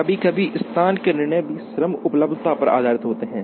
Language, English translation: Hindi, Sometimes, location decisions are also based on labor availability